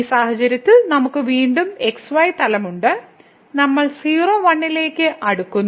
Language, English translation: Malayalam, So, in this case we have again this plane and we are approaching to the point